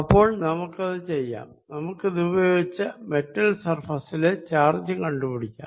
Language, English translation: Malayalam, let's, using this, find the charge on the metal surface, right